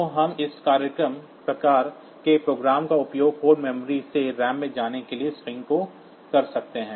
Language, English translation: Hindi, So, we can use this type of program for moving string from code memory to ram